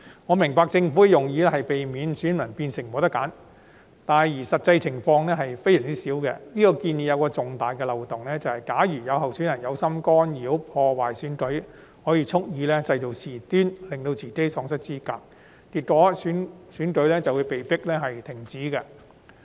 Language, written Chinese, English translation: Cantonese, 我明白政府的用意是避免選民變成沒有選擇，但實際情況極少出現，這個建議有重大漏洞，便是假如有候選人有心干擾或破壞選舉，便可以蓄意製造事端，令自己喪失資格，結果選舉會被迫終止。, I understand the intent of the Government was to prevent electors from being deprived of a choice . However this situation is extremely rare in reality . The major loophole in this proposal is that if a candidate intents to interrupt or disturb the election heshe may stir up trouble on purpose and cause hisher own disqualification and thus termination of the election